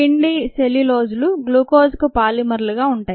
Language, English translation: Telugu, starch and cellulose happen to be polymers of glucose